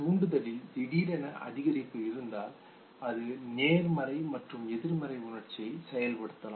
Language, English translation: Tamil, A sudden decrease in the stimulation then you can think of a positive emotion and in